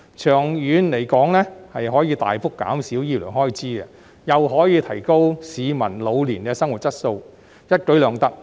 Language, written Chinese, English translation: Cantonese, 長遠而言，這亦可大幅減少醫療開支及提高市民老年的生活質素，一舉兩得。, In the long run this can achieve the dual objectives of significantly reducing medical expenses and enhancing the quality of life of people in their senior age